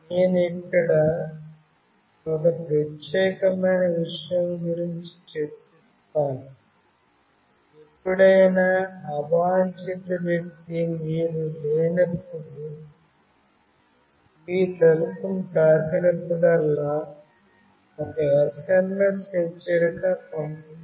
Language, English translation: Telugu, I will be discussing about this particular thing here, whenever an unwanted person touches your door when you are not there, an SMS alert will be sent